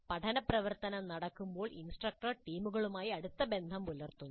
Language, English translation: Malayalam, Note that while the learning activity is happening, the instructor is in close touch with the teams